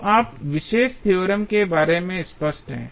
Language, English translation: Hindi, So, that you are more clear about the particular theorem